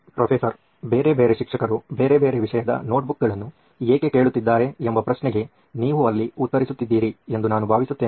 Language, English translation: Kannada, I think that there you are answering the question why are different subject notebooks being asked by different teachers